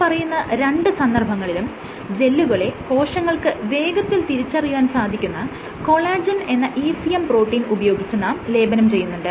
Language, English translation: Malayalam, In both these cases the gels are coated with collagen one which this is a one ECM protein which is recognized by the cells